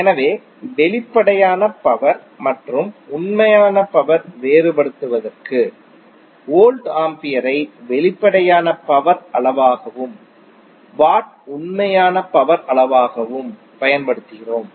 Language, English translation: Tamil, So just to differentiate between apparent power and the real power we use voltampere as a quantity for apparent power and watt as quantity for real power